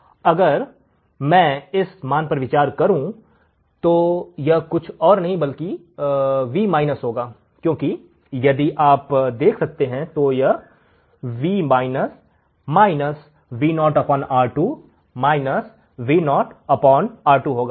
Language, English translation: Hindi, And if I consider this value then it will be nothing but Vminus because if you can see here, so it will be Vminus minus Vo by R2 minus Vo by R2